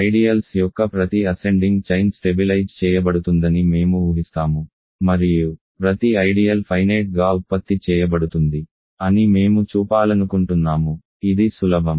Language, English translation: Telugu, We assume that every ascending chain of ideals stabilizes and we want to show that every ideal is finitely generated, OK this is easier